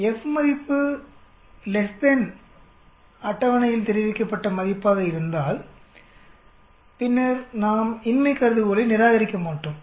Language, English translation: Tamil, And if the F value is less than what is reported in the table, then we do not reject the null hypothesis